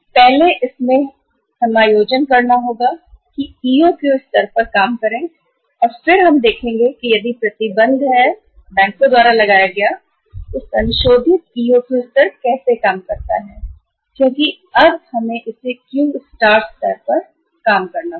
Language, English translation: Hindi, First we have to work out the adjusting EOQ level out of this and then we will see that if the restrictions are imposed by the bank how to work out the revised EOQ level that is the I just saw you in the in the structure that now we have to work out this Q star level